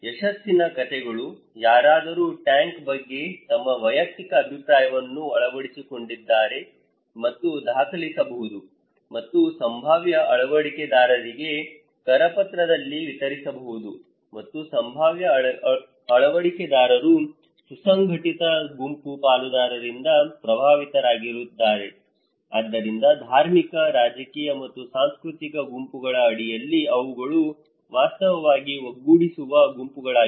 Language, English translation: Kannada, The success stories; someone's adopted their personal opinion of the tank okay, adopters and could be documented, and distributed in a brochure to potential adopters and potential adopters are affected by cohesive group partners, so under this like religious, political and cultural groups these are actually cohesive groups so, we can use these groups for dissemination